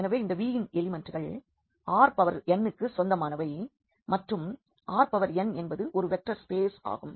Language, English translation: Tamil, So, this elements of this V belongs to R n and R n is a vector space